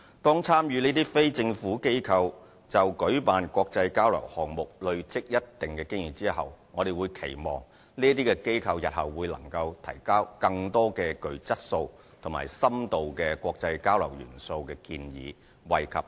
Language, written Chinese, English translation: Cantonese, 當這些參與的非政府機構就舉辦國際交流項目累積一定經驗後，我們期望這些機構日後能提交更多具質素及深度國際交流元素的建議，惠及更多青年。, We expect more quality and in - depth proposals on international exchange from the participating non - governmental organizations once they have accumulated a certain amount of experience in organizing international exchange projects so as to benefit more young people